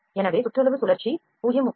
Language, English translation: Tamil, So, circumference rate rotation is 0